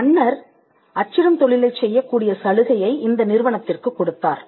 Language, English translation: Tamil, Now, the king granted the privilege to this company and this company had a monopoly in printing